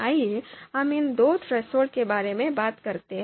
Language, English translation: Hindi, So what do we mean by this particular threshold